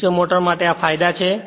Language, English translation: Gujarati, These are the advantages for DC motor